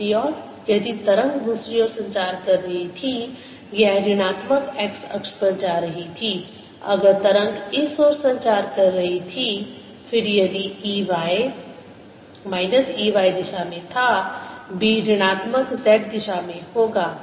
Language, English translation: Hindi, if the wave was propagating this way, then if e, y, e was in the y direction, b would be in the negative z direction